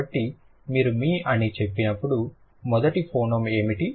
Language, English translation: Telugu, So, when you say me, what is the first phoneme, m